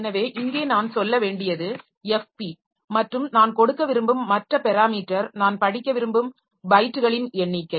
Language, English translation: Tamil, So, here I have to tell that FP and the other parameter that I want to give is the number of bytes that I want to read